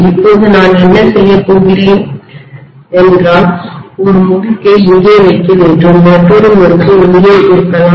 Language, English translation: Tamil, Now what I’m going to do is, to put one winding here maybe another winding here, right